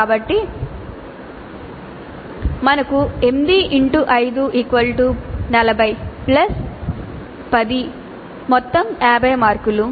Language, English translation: Telugu, So we have 8 5 is 40 plus 10 50 marks